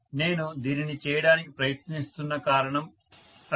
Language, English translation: Telugu, That is the reason why I am trying to do this